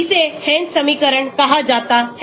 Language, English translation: Hindi, This is called as a Hansch equation